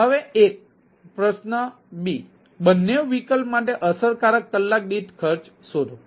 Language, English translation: Gujarati, an question b: find the cost per effective hour for the both the option